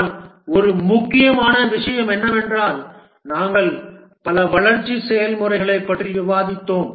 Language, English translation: Tamil, But one important thing is that we discussed several development processes